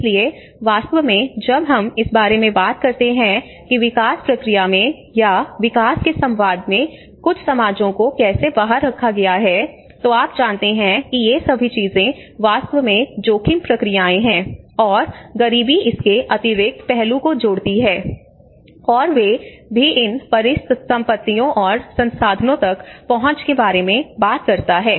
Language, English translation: Hindi, So in fact, when we talk about how certain societies have been excluded in the development process or in the dialogue of the development you know these all things are actually the risk processes and poverty adds much more of the excluded aspect of it, and they also talks about the access to these assets and the resources